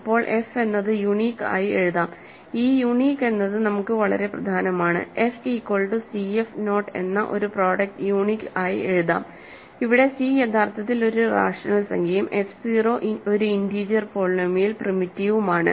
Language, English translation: Malayalam, Then f can be written as uniquely as, this word uniquely is extremely important for us, can be written uniquely as a product f is equal to c f naught, where c is actually a rational number and f 0 is an integer polynomial is primitive, ok